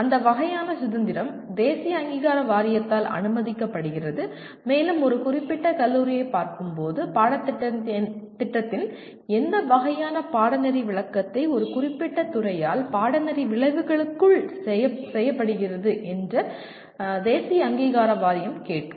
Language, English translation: Tamil, That kind of freedom is permitted by National Board Of Accreditation when it looks at a particular college will also ask what kind of their interpretation of the curriculum is performed by the a particular department vis à vis the course outcomes